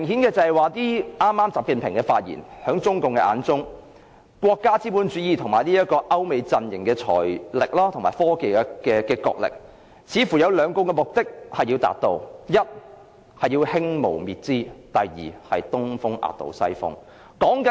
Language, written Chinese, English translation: Cantonese, 習近平的發言明確顯示，在中共的眼中，國家資本主義與歐美陣營的財力及科技角力，似乎要達到兩個目的：第一，是要"興無滅資"；第二，是"東風壓倒西風"。, XI Jinpings speech has clearly indicated that in the eyes of CPC the financial and technological struggles between state capitalism and the Europe - America camp serve two purposes first to foster proletarian ideology and eliminate bourgeois ideology; second to make the East prevail over the West